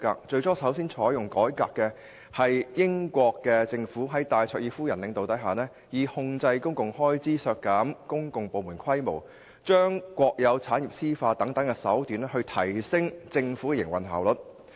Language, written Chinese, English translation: Cantonese, 最先採取改革措施的，是在戴卓爾夫人領導下的英國政府，以控制公共開支、削減公共部門規模、將國有產業私有化等手段，提升政府的營運效率。, The very first one which adopted reform measures was the British Government led by Mrs Margaret THATCHER . It employed such means as controlling public expenditure reducing the scale of public departments and privatization of state - owned assets to enhance the operational efficiency of the Government